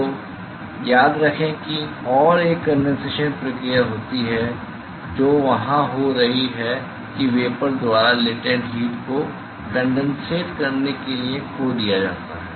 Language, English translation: Hindi, So, remember that and there is a condensation process which is occurring there is the latent heat is being lost by the vapor to form the condensate